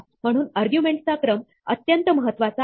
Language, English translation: Marathi, So, the order of the arguments is important